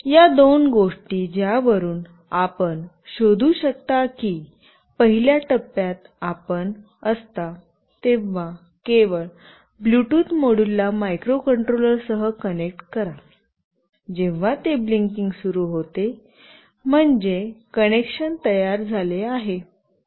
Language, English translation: Marathi, These are the two things from which you can find out that in the first phase when you just connect the Bluetooth module with microcontroller, when it starts blinking that mean the connection is built